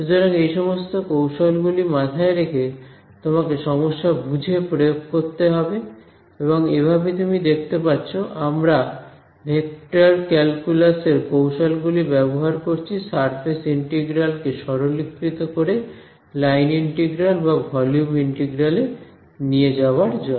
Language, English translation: Bengali, So, keep these techniques in mind you will have to apply them depending on the problem at hand and these like you can see we are just using the tools of vector calculus to simplify a surface integral into a line integral or a volume integral into a surface integral that is the basic idea over here ok